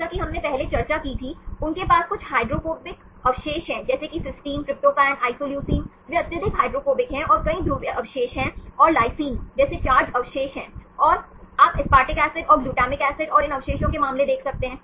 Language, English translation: Hindi, As we discussed earlier, they have some of the hydrophobic residues, see like cysteine, tryptophan, isoleucine they are highly hydrophobic and several polar residues and the charge residues like lysine and you can see the case of aspartic acid and glutamic acid and these residues, they are polar in nature